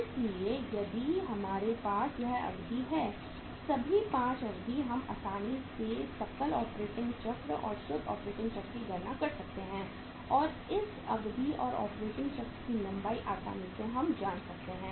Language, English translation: Hindi, So if we have this durations with us, all the 5 durations with us, we can easily calculate the gross operating cycle and the net operating cycle and that duration that length of the operating cycle will be known to easily known to us